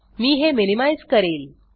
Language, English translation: Marathi, I will minimize this